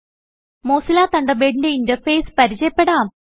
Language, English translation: Malayalam, The Mozilla Thunderbird application opens